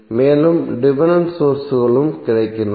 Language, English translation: Tamil, And the dependent sources are also available